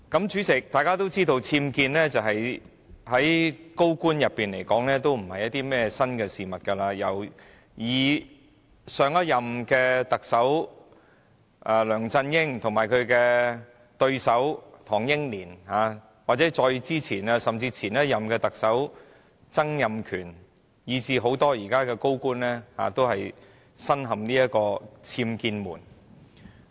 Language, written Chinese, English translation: Cantonese, 主席，眾所周知，僭建在高官之間並非甚麼新事物，由上一任特首梁振英及其對手唐英年、再前一任特首曾蔭權，以至很多現任高官，均身陷僭建醜聞。, Chairman as we all know it is not something new for senior officials to get involved in an incident concerning UBWs given that LEUNG Chun - ying the previous Chief Executive his competitor Henry TANG his predecessor Donald TSANG and many incumbent senior officials have all been involved in scandals concerning UBWs